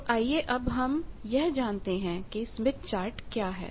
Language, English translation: Hindi, Now, let us come to what is a smith chart